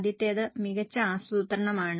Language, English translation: Malayalam, The first one is better planning